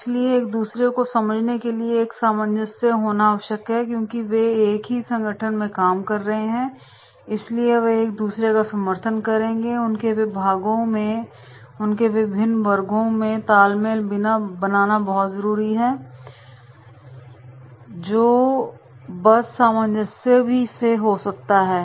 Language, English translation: Hindi, So therefore, there might be a cohesiveness to understand each other because they are working in the same organisation so they might be supporting each other, their departments, their synergies of different sections that will be having the cohesiveness right